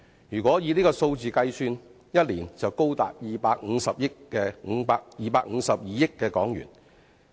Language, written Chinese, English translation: Cantonese, 如果以這個數字推算，一年的總經濟損失便高達252億元。, Based on this figure the total economic losses a year are estimated to be 25.2 billion